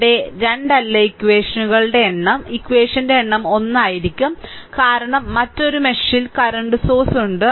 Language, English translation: Malayalam, So, number of equation not 2 here, number of equation will be 1 because in another mesh the current source is there